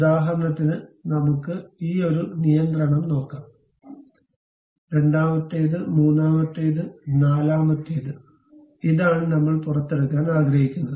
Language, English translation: Malayalam, For example, let us look at this one control, second, third, fourth this is the thing what I would like to extrude